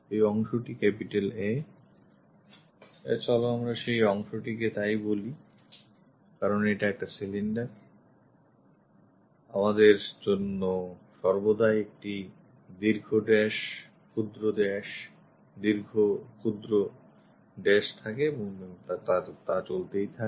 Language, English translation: Bengali, This part A, let us call that part because it is a cylinder we always have long dash, short dash, long dash, short dash and so on